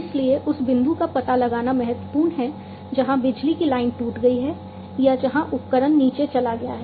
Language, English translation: Hindi, So, it is now important to locate the point where the power line is broken or where the equipment you know has gone down